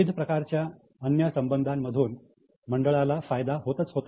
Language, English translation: Marathi, The board was also benefiting from various other relationships